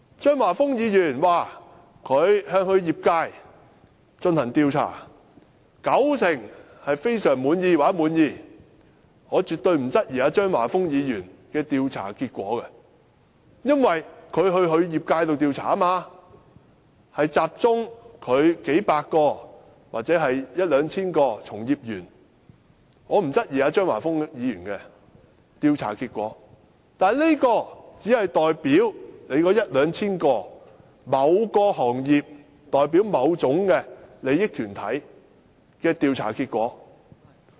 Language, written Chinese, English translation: Cantonese, 張華峰議員說，他向業界進行調查，九成受訪者表示非常滿意或滿意，我絕對不會質疑張華峰議員的調查結果，因為他是向其業界進行調查，集中了數百或一兩千名從業員進行調查，所以我不質疑張華峰議員的調查結果，但這只是代表一兩千名從業員或某個行業，甚或某種利益團體的調查結果。, I surely will not question Mr Christopher CHEUNGs survey result because it is the result on the few hundred or thousand people in his industry . I thus will not question Mr Christopher CHEUNGs survey result . But it only represents the survey result on a few thousand industry players a certain industry or even a certain interest group